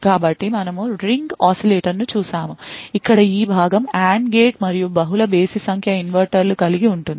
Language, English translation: Telugu, So, note that we have looked at Ring Oscillator that is this part over here comprising of the AND gate and multiple odd number of inverters